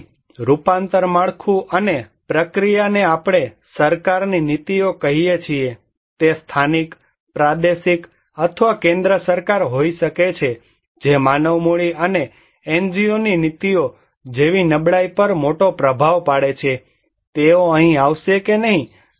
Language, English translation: Gujarati, So, transformation structure and process, we call the policies, policies of the government, it could be local, regional or central government that has a great impact on human capital and vulnerabilities like policies of the NGOs, they will come here or not